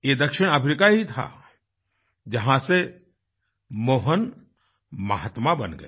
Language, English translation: Hindi, It was South Africa, where Mohan transformed into the 'Mahatma'